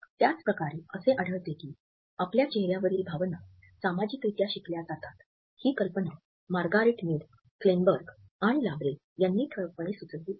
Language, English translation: Marathi, In the same manner we find that the idea that our facial expressions are socially learnt has been suggested by Margret Mead, Kleinberg and Labarre prominently